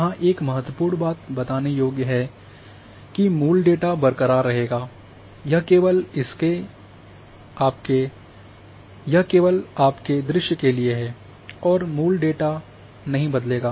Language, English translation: Hindi, One important thing here to mention that original data will remain intact this is only for your visuals, original data will not change